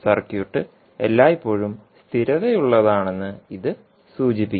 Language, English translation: Malayalam, This implies that the circuit is always stable